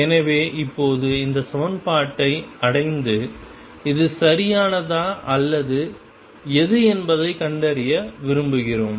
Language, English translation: Tamil, So, we will want to now kind of arrive at this equation and discover whether it is right or what